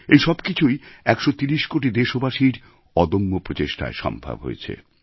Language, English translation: Bengali, And all this has been possible due to the relentless efforts of a 130 crore countrymen